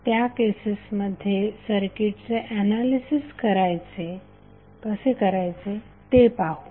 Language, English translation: Marathi, In that case how we will analyze the circuit